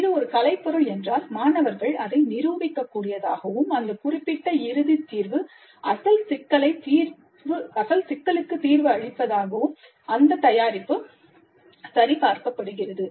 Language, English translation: Tamil, If it is an artifact, the students must be able to demonstrate that that particular final solution does solve the original problem, validate the product